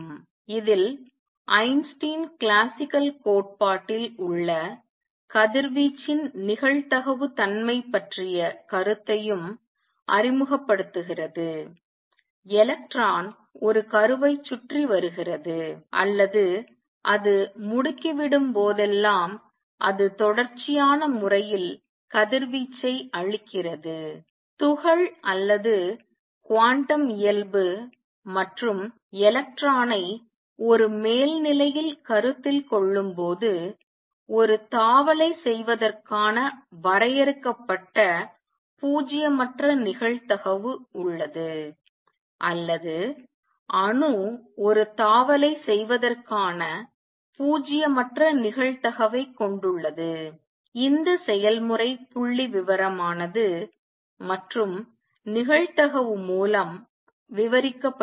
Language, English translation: Tamil, In this Einstein also introduce the idea of probabilistic nature of radiation that is in classical theory electron revolves around a nucleus or whenever it accelerates it just gives out radiation in a continuous spanner, when we consider the particle or quantum nature and electron in an upper state has a finite nonzero probability of making a jump or the atom has a non zero probability of making a jump this process is statistical and described by probability